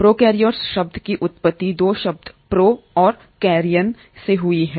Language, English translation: Hindi, The term prokaryotes is derived from 2 words, pro and Karyon